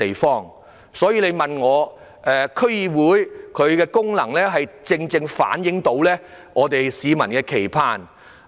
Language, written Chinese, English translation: Cantonese, 因此，我認為區議會的功能正是要反映市民的期盼。, Thus in my opinion one of the functions of DCs is to reflect peoples aspirations